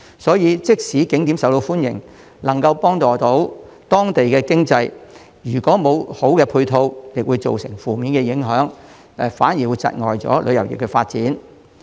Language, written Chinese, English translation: Cantonese, 所以，即使景點受歡迎、能夠幫助當地經濟，如果沒有好的配套設施，亦會造成負面影響，窒礙旅遊業的發展。, Therefore in the absence of proper supporting facilities even if an attraction is popular and able to help the local economy it can still bring about adverse effects and hinder the development of tourism